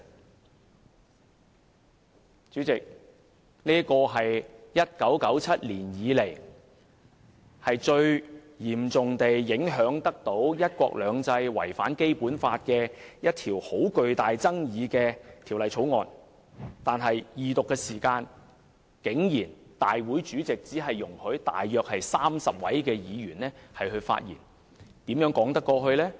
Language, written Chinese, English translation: Cantonese, 代理主席，這是1997年以來，最嚴重影響"一國兩制"、違反《基本法》的極具爭議的一項法案，但立法會主席竟然只容許約30名議員在恢復二讀辯論時發言，這怎說得過去呢？, Deputy President this is an extremely controversial Bill that deals the severest blow to one country two systems and infringes the Basic Law since 1997 . But the President of the Legislative Council surprisingly only allows some 30 Members to speak at the resumption of the Second Reading debate . Is this reasonable?